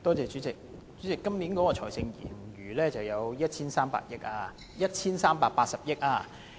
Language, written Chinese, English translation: Cantonese, 主席，今年的財政盈餘有 1,380 億元。, Chairman the fiscal surplus this year stands at 138 billion